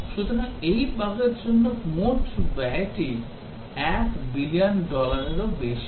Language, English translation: Bengali, So, the total cost for this bug is over 1 billion dollars